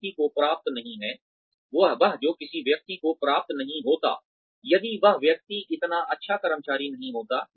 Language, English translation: Hindi, That, one would not have achieved, if the person had been not such a good employee